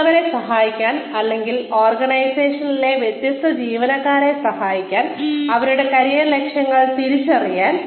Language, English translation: Malayalam, In order to be, able to help others, or, helps different employees in the organization, identify their career goals